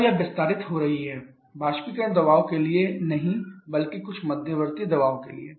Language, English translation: Hindi, Then it is getting expanded not to the evaporator pressure rather to some intermediate pressure